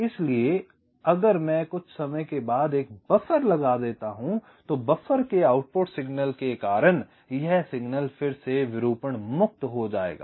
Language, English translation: Hindi, so if i introduce a buffer after some time, so the output of the buffer, this signal, will again become distortion free